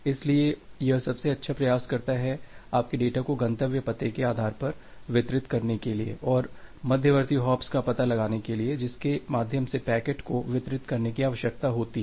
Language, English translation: Hindi, So, it makes a best try to deliver your data based on your destination address and finding out the intermediate hops through which the packet need to be delivered